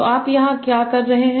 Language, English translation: Hindi, Now, so what you are doing here